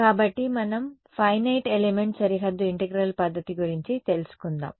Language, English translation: Telugu, So, let us get into this FE Finite Element Boundary Integral method ok